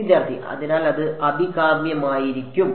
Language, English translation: Malayalam, So, it is going to be desirable